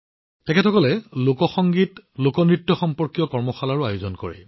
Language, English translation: Assamese, These people also organize workshops related to folk music and folk dance